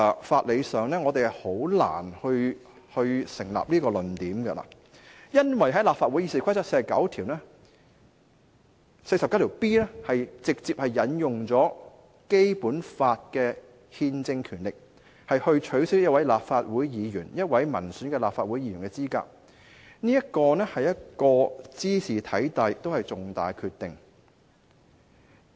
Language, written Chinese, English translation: Cantonese, 法理上，我認為這個論點難以成立，因為立法會《議事規則》第 49B 條直接引用了《基本法》的憲政權力來取消一位立法會議員——一位民選立法會議員——的資格，茲事體大，而且也是一個重大的決定。, In terms of jurisprudence I think this argument can hardly hold water because RoP 49B of the Legislative Council directly invokes the constitutional power of the Basic Law to disqualify a Member of the Legislative Council―an elected Member of the Legislative Council―from office . This is a matter of enormous import and decision of great significance